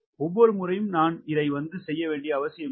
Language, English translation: Tamil, it is not necessary that i have to do it every time